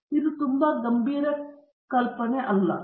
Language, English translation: Kannada, So, this is not very serious assumption